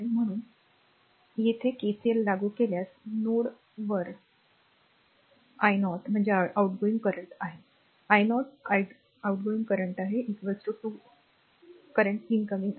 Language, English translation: Marathi, Therefore, if you apply KCL at your what you call at ah node a , then your i 0 that is the outgoing current i 0 is out going current is equal to 2 currents are incoming